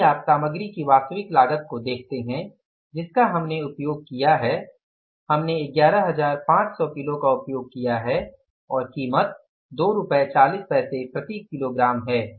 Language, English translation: Hindi, If you look at the actual cost of the material, we have used the actual cost, actual quantity is 11,500 kgs and what is the price, rupees 2